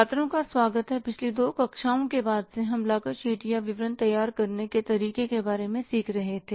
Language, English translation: Hindi, So, in the previous two classes classes we were learning about how to prepare the cost sheet or the statement of cost